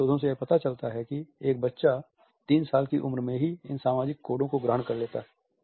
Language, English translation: Hindi, Different researchers have told us that by the time a child is 3 years old, the child has imbibed these social codes